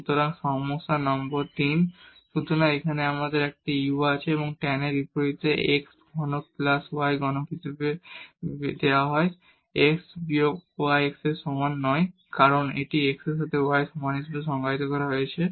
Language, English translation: Bengali, So, the problem number 3; so, here we have a u which is given as tan inverse x cube plus y cube over x minus y x is not equal to y because this is now defined as x is equal to y